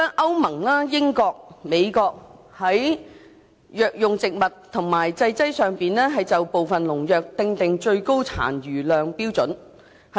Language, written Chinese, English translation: Cantonese, 歐盟、英國及美國在藥用植物及製劑上就部分農藥訂定最高殘留量標準。, The European Union the United Kingdom and the United States have set maximum residue limits for some pesticides in medicinal plants and their preparations